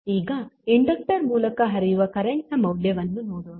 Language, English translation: Kannada, Now, next the value of current flowing through the inductor